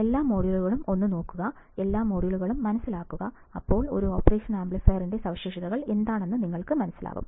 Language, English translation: Malayalam, If I am correct then take a look at all the modules, understand all the modules, then you will understand what are the specifications of an operational amplifier, alright